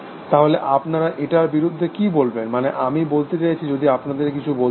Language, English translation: Bengali, So, what will you say against it, I mean if you were to say anything against it